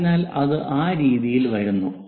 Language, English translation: Malayalam, So, that comes in that way